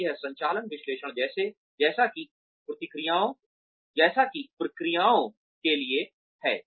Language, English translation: Hindi, So, this is the operations analysis, as to the processes